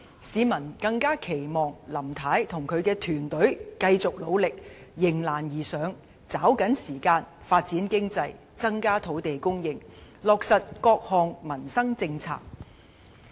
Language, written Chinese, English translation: Cantonese, 市民更期望林太與其團隊繼續努力，迎難而上，抓緊時間發展經濟，增加土地供應，落實各項民生政策。, The public also hope that Mrs LAM and her team will continue their efforts to rise to challenges and seize the opportunity to develop the economy increase land supply and implement livelihood policies